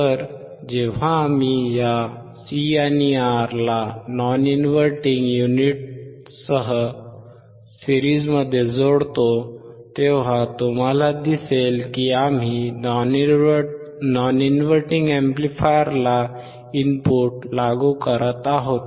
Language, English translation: Marathi, So, when we connect this C, the R in series with the non inverting unit again, because you see non inverting we are applying to non terminal